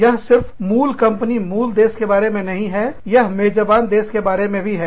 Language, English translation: Hindi, It is not only about, the parent company or parent country, it is also about, the host country